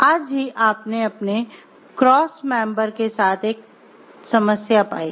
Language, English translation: Hindi, Just today you found a problem with your cross member